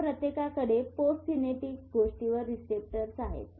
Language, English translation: Marathi, Each one of them has a receptor on the post synaptic thing